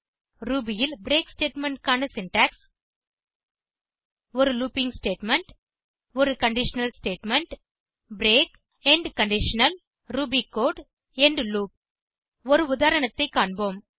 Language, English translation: Tamil, The syntax for the break statement in Ruby is a looping statement a conditional statement break end conditional ruby code end loop Let us look at an example